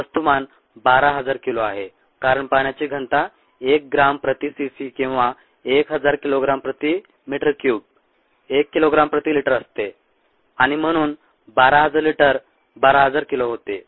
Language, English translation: Marathi, and the mass happens to be twelve thousand kg because the density of water is one gram per cc, or thousand kilogram per meter cubed